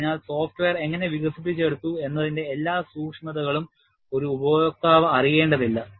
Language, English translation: Malayalam, So, an user need not know all the nuances of how the software has been developed